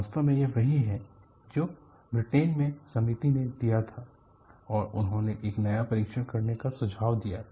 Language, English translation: Hindi, In fact, this is what the committee in UK read this and they suggested a new test to be done